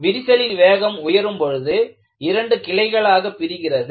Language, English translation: Tamil, The crack speed increases, suddenly it becomes two